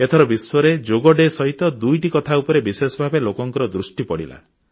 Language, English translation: Odia, This time, people all over the world, on Yoga Day, were witness to two special events